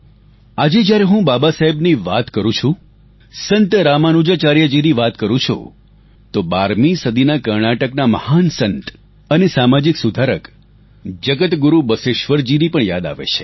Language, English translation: Gujarati, Today when I refer to Babasaheb, when I talk about Ramanujacharya, I'm also reminded of the great 12th century saint & social reformer from Karnataka Jagat Guru Basaveshwar